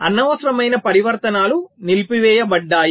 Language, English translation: Telugu, so unnecessary transitions are disabled